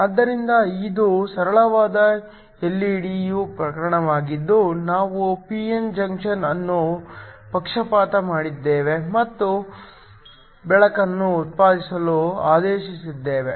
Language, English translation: Kannada, So, this is a case of a simple LED where we have just forward biased a p n junction and ordered to produce light